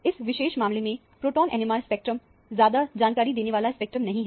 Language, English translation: Hindi, The proton NMR spectrum is not a very informative spectrum in this particular case